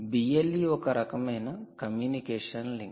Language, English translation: Telugu, e is the kind of communication link